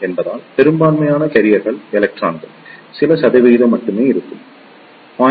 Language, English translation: Tamil, Since, the majority carriers are electrons, there will be only few percent maybe around 0